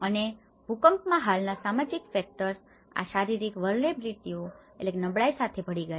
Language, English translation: Gujarati, And in the earthquake, the existing social factors merged with these physical vulnerabilities